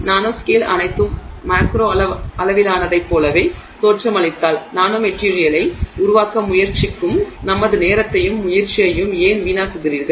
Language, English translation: Tamil, If everything at the nanoscale looks exactly the same as it does at the macro scale, then why waste our time and effort trying to create the nanomaterial at all